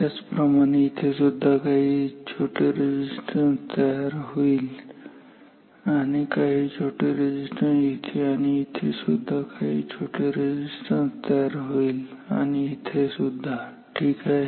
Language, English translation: Marathi, Similarly this will contribute some small resistance here and some small resistance here similarly some small resistance will come here and here also some small resistance here and here ok